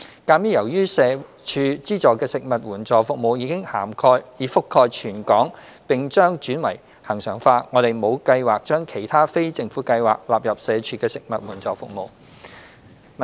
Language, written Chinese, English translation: Cantonese, 鑒於由社署資助的食物援助服務已覆蓋全港並將轉為恆常化，我們沒有計劃將其他非政府計劃納入社署的食物援助服務。, In view of the territory - wide nature of the food assistance service funded by SWD and the impending service regularization we do not have plans to integrate other non - governmental projects into SWDs STFASPs